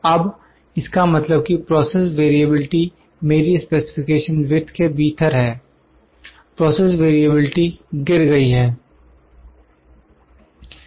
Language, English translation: Hindi, Now, this means that the process variability is within my specification width, process variability is lower